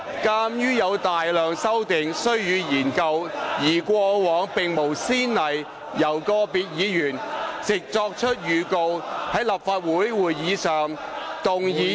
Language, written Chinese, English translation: Cantonese, 鑒於有大量修訂須予研究，而過往並無先例由個別議員藉作出預告，在立法會會議上動議擬議決議案以修改......, Given the voluminous amendments that had to be examined and no precedence of individual Members giving notice to move proposed resolutions to amend RoP at a Council meeting